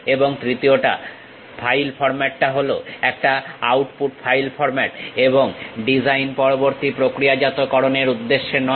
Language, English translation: Bengali, And the third one, the file format is very much an output file format and not intended for post design processing